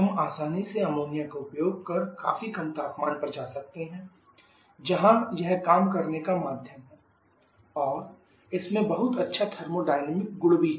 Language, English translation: Hindi, We can easily go to quit low temperatures using ammonia is the working medium and it has very good thermodynamic properties as well